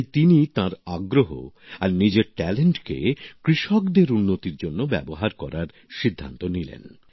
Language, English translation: Bengali, So, he decided to use his interest and talent for the welfare of farmers